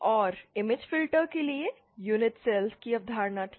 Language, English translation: Hindi, And for the image filters, there was the concept of unit cells